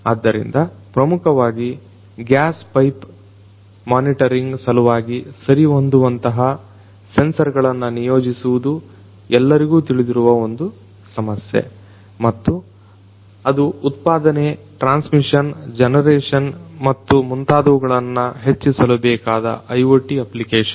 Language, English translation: Kannada, So, basically the deployment of appropriate sensors for gas pipe monitoring is a is a very well known problem and that is an application of IoT to improve the production, the transmission, the generation and so on